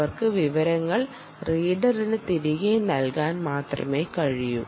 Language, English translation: Malayalam, they can only give information back to the reader